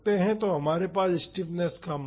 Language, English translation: Hindi, So, we have the stiffness value